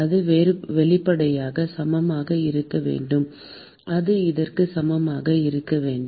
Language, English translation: Tamil, And that should obviously be equal to, that should be equal to what